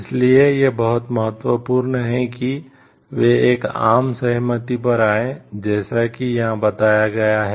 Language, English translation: Hindi, So, it is very important like they come to a consensus like, as it is mentioned over here